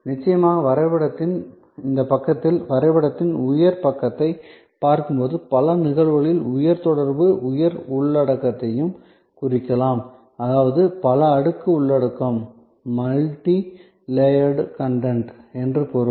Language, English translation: Tamil, Of course, usually in many of these instances which you see on this side of the diagram, the high side of the diagram, the high contact may also denote high content; that means multi layered content